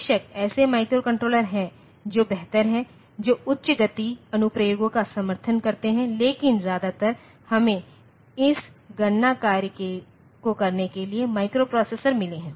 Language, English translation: Hindi, Of course, there are microcontrollers which are better, which support high speed applications, but mostly we have got microprocessors for doing this computation job